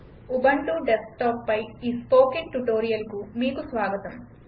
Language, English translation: Telugu, Welcome to this spoken tutorial on Ubuntu Desktop